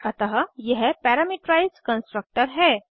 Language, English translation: Hindi, Addition Parameterized Constructor